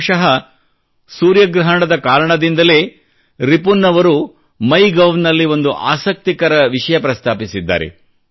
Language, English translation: Kannada, Possibly, this solar eclipse prompted Ripun to write a very interesting comment on the MyGov portal